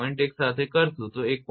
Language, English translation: Gujarati, 1 that is why it is 1